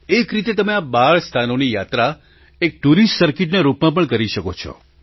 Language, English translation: Gujarati, In a way, you can travel to all these 12 places, as part of a tourist circuit as well